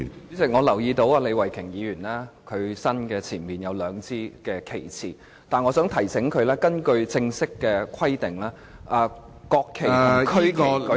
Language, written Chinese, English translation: Cantonese, 主席，我留意到李慧琼議員身前有兩支旗幟，但我想提醒她，根據正式的規定，國旗和區旗舉起時......, President I notice that there are two flags in front of Ms Starry LEE but I would like to remind her that in accordance with formal provisions when the national flag and the regional flag are displayed